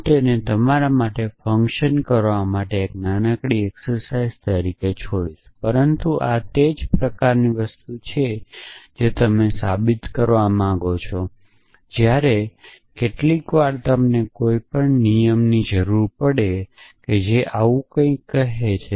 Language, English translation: Gujarati, So, I will leave it as a small exercise for you to work out, but this is the kind of thing you may want to prove which is while sometimes you may need a rule which say something like that essentially